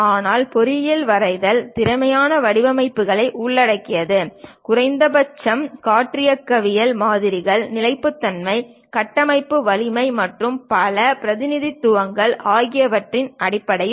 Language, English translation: Tamil, But engineering drawing involves this kind of design practices, what is efficient design at least in terms of aero dynamical designs, stability, structural strength and many representations